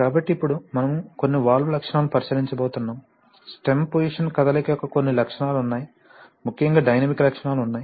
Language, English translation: Telugu, So, now we come to take a look at some valve characteristics for example, you know this, there are certain characteristics of the stem position movement, especially dynamic characteristics right